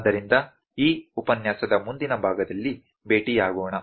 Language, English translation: Kannada, So, let us meet in the next part of this lecture